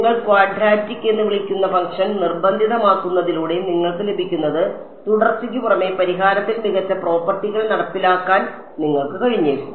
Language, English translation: Malayalam, You get by forcing the function to be what do you call quadratic you may be able to enforce better properties on the solution apart from continuity you may also be able to get differentiability right